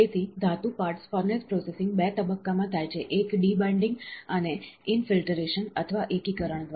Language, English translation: Gujarati, So, the metal parts furnace processing occurs in 2 stage, one is debinding and infiltration, or by consolidation